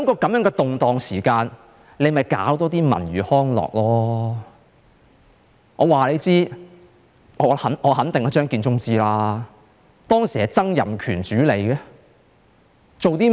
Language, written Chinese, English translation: Cantonese, 在這動盪的時候，便多辦一些文娛康樂設施吧，我肯定張建宗是知道的，當時是由曾蔭權主理的，他做了甚麼呢？, In this time of unrest the Government should provide more cultural and recreational facilities . I am sure Matthew CHEUNG understands what I am saying . It was at the time when Donald TSANG was at the helm and what did he do?